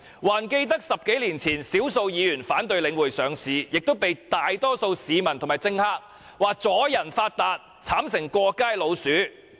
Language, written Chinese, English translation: Cantonese, 還記得在10多年前，少數議員反對領匯上市，同樣被大多數市民和政客批評為"阻人發達"，並慘成"過街老鼠"。, I recall that when a minority of Members objected to the listing of The Link more than 10 years ago they were also criticized by the majority of people and politicians as barring others from getting rich and became rats on the street